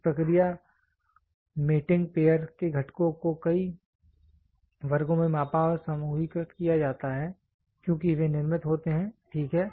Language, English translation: Hindi, In this process components of the mating pair are measured and grouped into several classes as they are manufacture, ok